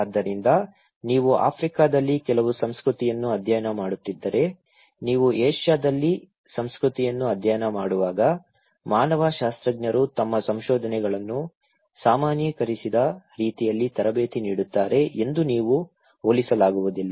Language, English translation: Kannada, Therefore, if you are studying some culture in Africa, you cannot compare that when you are studying a culture in Asia so, the anthropologist are trained in such a way that they do not generalize their findings so, they are very localized, contextualize their findings